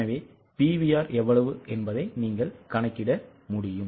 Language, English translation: Tamil, So, how much is a PVR